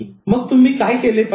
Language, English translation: Marathi, What should you do then